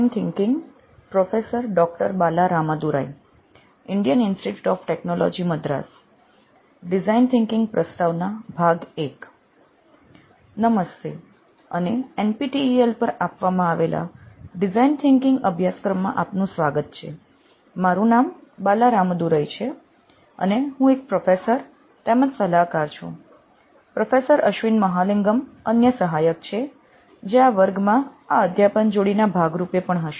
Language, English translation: Gujarati, Hello and welcome to the design thinking course offered on NPTEL, my name is Bala Ramadurai and I am a professor and consultant, the other facilitator is Professor Ashwin Mahalingam, who is also going to be there as part of the teaching duo that we have for this class